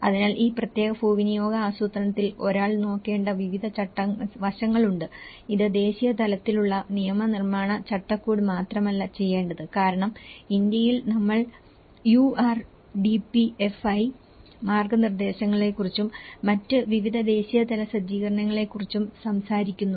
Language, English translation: Malayalam, So, like that there are various aspects one has to look at and in this particular land use planning, this not only has to do the national level legislatory framework as because in India we talk about the URDPFI guidelines and various other national level setup